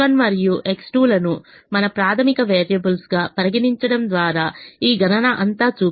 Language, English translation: Telugu, let me show all this computation by treating x one and x two as our basic variables